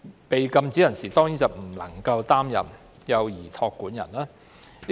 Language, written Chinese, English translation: Cantonese, 被禁止人士當然不能擔任幼兒託管人。, Prohibited persons are certainly prohibited from acting as childminders